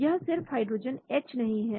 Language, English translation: Hindi, it is not hydrogen H